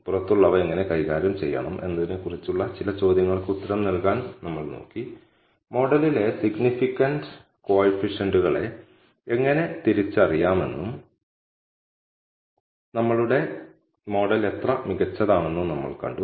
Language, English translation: Malayalam, So, we looked at answering some of the question as how to treat outliers, we also saw how to identify significant coefficients in our model and how good our model is